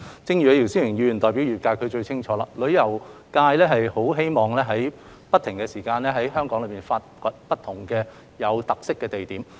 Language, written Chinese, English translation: Cantonese, 正如姚思榮議員代表旅遊界，他應該最清楚，旅遊界很希望能夠不斷在香港發掘不同的具特色景點。, Mr YIU Si - wing represents the tourism sector and he should know best . The tourism sector always wishes to look for different distinctive scenic spots in Hong Kong